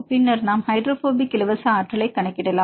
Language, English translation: Tamil, So, you can calculate the hydrophobic free energy